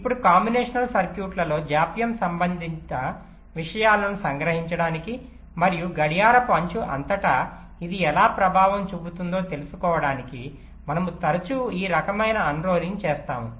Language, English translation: Telugu, ok, now, this kind of unrolling we often do in order to capture the delay rated things in the combinational circuits and how it can effect across clock citrus